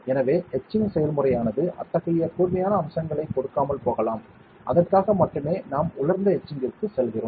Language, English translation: Tamil, So, with etching process may not give such sharp features for that only we go for dry etching